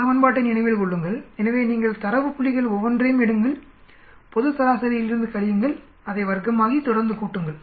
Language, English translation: Tamil, Remember this equation, so you take each one of the data points subtract from the global average, square it up and keep on adding